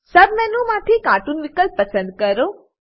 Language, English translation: Gujarati, Click on Cartoon option from the sub menu